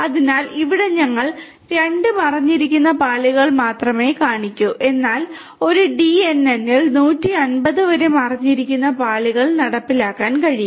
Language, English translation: Malayalam, So, here we show only 2 layers, hidden layers, but you know in a DNN up to 150 hidden layers can be implemented